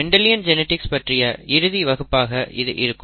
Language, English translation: Tamil, This will most likely be the last lecture on Mendelian genetics